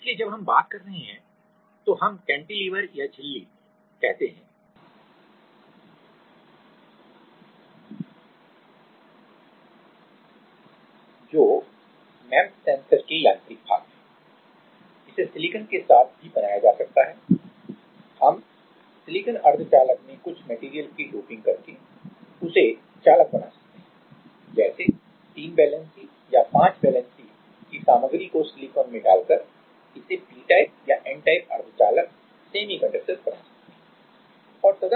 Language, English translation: Hindi, So, while we are talking about let us say cantilever or membrane, which are the mechanical parts of the MEMS sensor; that can be made with the silicon as well as, we can make a silicon semiconductor conducting by doping some material like 3 valency or 5 valency material in silicon we can make it p type or n type semiconductor